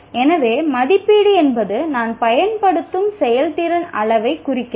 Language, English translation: Tamil, So, assessment really refers to what is the performance measure am I using